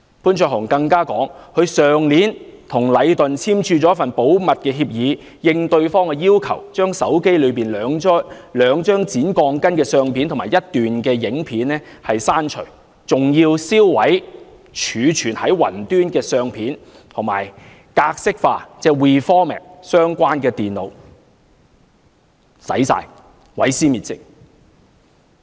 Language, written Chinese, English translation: Cantonese, 潘焯鴻更指出，他去年與禮頓建築有限公司簽署了一份保密協議，應對方的要求，把手機內兩張剪鋼筋的相片及一段影片刪除，更要銷毀儲存在雲端的相片，以及重新格式化相關的電腦，甚麼都刪除了，毀屍滅跡。, Mr Jason POON even pointed out that he had signed a confidentiality undertaking with Leighton Contractors Asia Limited Leighton last year under which he had at the request of Leighton deleted from his mobile phone two photographs and a video clip showing the cutting of steel reinforcement bars . He was also requested to delete the photographs saved in cloud storage and to reformat the computers involved . Everything has been deleted and all evidence has been destroyed